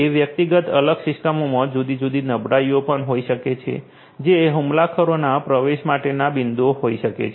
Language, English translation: Gujarati, Those individual isolated systems might also have different vulnerabilities which might be points for entry for the attackers